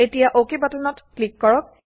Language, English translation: Assamese, Now let us click on the Ok button